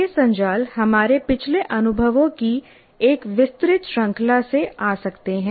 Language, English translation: Hindi, These networks may come from wide range of our past experiences